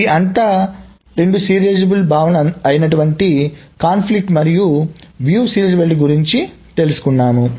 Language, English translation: Telugu, So that is about the two serializable notions of conflict and view serializability